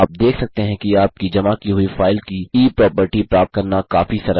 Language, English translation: Hindi, You can see its quite simple to get e property of the file you submit